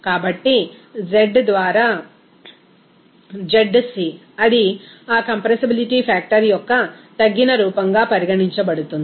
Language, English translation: Telugu, So, z by zc it will be regarded as a reduced form of that compressibility factor